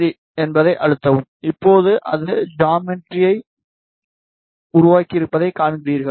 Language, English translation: Tamil, Then press ok, now you see it has created the geometry